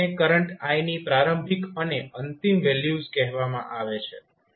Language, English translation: Gujarati, So, these are called initial and final values of current i